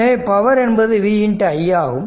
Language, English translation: Tamil, If you simply it will be v is equal 0